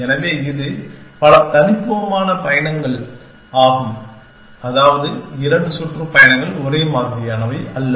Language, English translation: Tamil, So, this is a number of distinct tours, which means say no 2 tours are identical